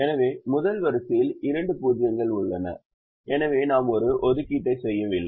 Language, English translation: Tamil, so the first row has two zeros, so we don't make an assignment